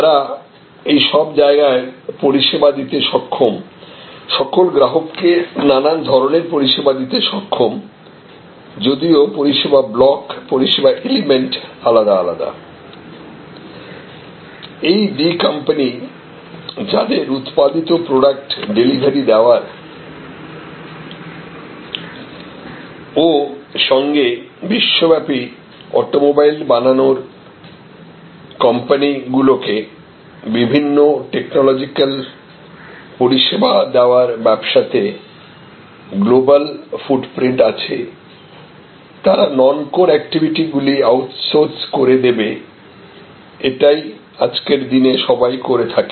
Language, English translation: Bengali, And; however, they are able to serve all these locations, all these customers with the variety of services; even though the service blocks or service elements might be produced in different… So, this company D, which is having this kind of global footprint giving delivering manufactured products as well as different kinds of technological services to automobile manufacturing companies around the world, will as is the normal practice today, outsource their non core activities